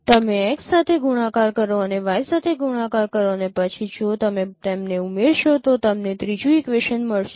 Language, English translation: Gujarati, So you multiply with x and multiply with y and then if you add them you will get the third equation